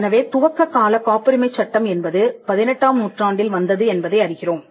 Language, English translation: Tamil, So, we find the copyright the initial copyright law that came into being in the 18th century